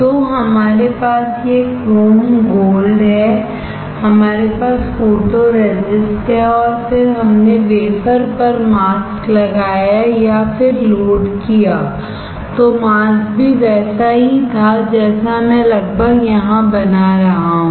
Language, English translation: Hindi, So, we have this chrome gold, we have photoresist, and then we placed or load the mask on the wafer then mask was similar to what I am drawing almost similar